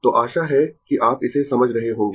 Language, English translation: Hindi, So, hope you are understanding this